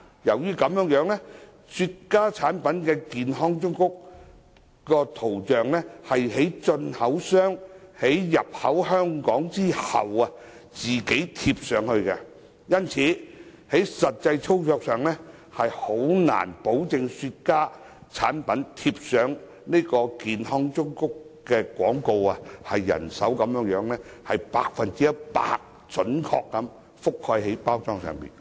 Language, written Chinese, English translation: Cantonese, 由於雪茄產品的健康忠告圖像，是進口商在產品進口香港後自行貼上，因此在實際操作上，難以保證用人手貼上的健康忠告圖像能準確地覆蓋包裝背面的 100%。, As graphic health warnings of cigar products are manually affixed to the containers by the importer after the products are imported into Hong Kong it is difficult in practice to ensure that they accurately cover 100 % of the back side of the container